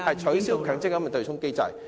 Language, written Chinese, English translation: Cantonese, 取消強積金對沖機制。, to abolish the MPF offsetting mechanism